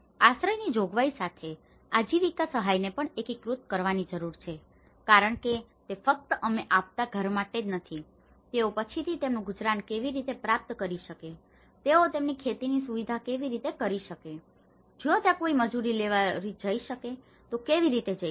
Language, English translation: Gujarati, There is also need to integrate livelihood assistance with shelter provision because it is not just for the home we are providing, how they can procure their livelihood later on, how they can do their farming facilities, how they can if there any labour how can they can get the work